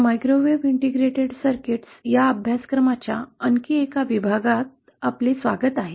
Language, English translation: Marathi, Welcome back to another module of this course, Microwave Integrated Circuits